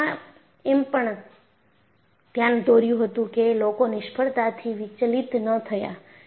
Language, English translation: Gujarati, And what I pointed out was, people were not detracted by the failures